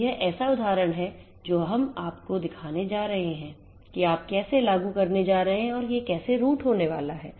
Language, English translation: Hindi, So, this is this scenario that we are going to show you now, how you are going to implement and how this routing is going to happen